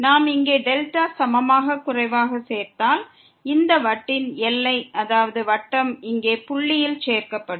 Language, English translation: Tamil, If we include here less than equal to delta, then the boundary of this disc that means, the circle will be also included in the point here